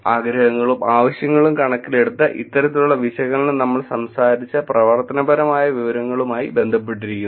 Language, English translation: Malayalam, This kind of analysis in terms of wants and needs which is also connected to the actionable information that we talked about is very helpful